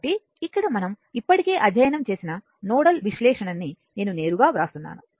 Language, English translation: Telugu, So, here nodal analysis we have already studied